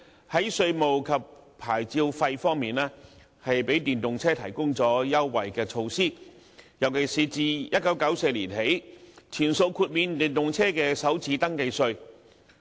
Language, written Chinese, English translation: Cantonese, 在稅務及牌照費方面，政府向電動車提供優惠措施，尤其是自1994年起，全數豁免電動車的首次登記稅。, It has also put in place concessionary measures for EVs regarding taxation and licence fees in particular the first registration tax full waiver for EVs introduced since 1994